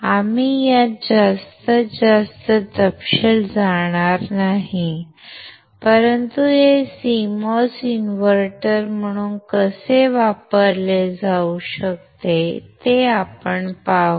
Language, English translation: Marathi, We will not go too much detail into this, but we will just see how this CMOS can be used as an invertor